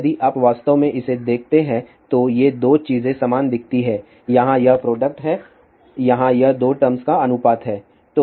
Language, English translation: Hindi, If you actually look at it these two things look kind of similar here it is a product here it is a ratio of the two terms